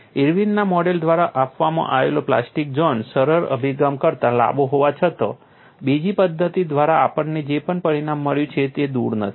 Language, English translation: Gujarati, Though the plastic zone given by Irwin’s model is longer than the simplistic approach, whatever the result that we have got by another methodology is no way of